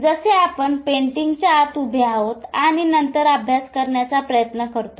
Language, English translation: Marathi, Like we are standing within the painting and then trying to study the painting